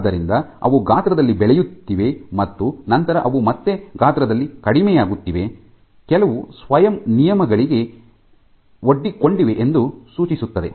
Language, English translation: Kannada, So, they are growing in size and then they are again reducing in size suggesting that there are some self regulations